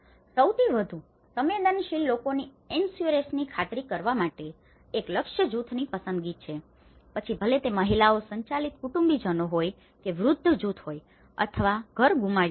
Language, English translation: Gujarati, One is the target group selection to ensure access to the most vulnerable, whether it is the women headed families or it is a elderly group or if they have lost their houses